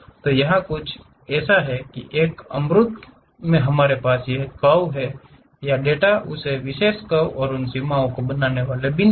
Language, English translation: Hindi, So, something like here, in a abstractions we have this curve or the data points on that particular curve and those forming boundaries